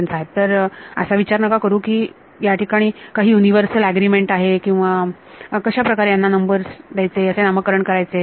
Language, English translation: Marathi, So, you should not think that there is some universal agreement or how to name number these things fine